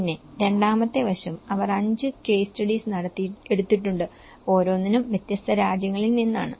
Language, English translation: Malayalam, Then, the second aspect is they have taken 5 case studies, each from different country